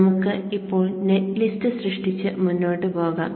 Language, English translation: Malayalam, Let us now generate the net list and go forward